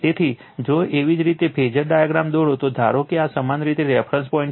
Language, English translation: Gujarati, So, if you draw the phasor diagram right, suppose this is your reference point